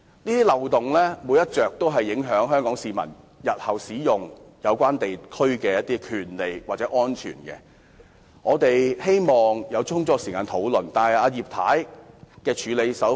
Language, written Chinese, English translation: Cantonese, 這些漏洞全都影響香港市民日後使用有關地方的權利或安全，我們因而希望能有充足時間多作討論，但葉太怎樣處理？, As all these loopholes may impact the rights or safety of Hong Kong people in their future use of the relevant area we hence asked for sufficient time for discussion . Yet how did Mrs IP respond to our request?